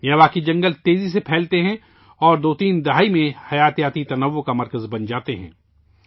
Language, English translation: Urdu, Miyawaki forests spread rapidly and become biodiversity spots in two to three decades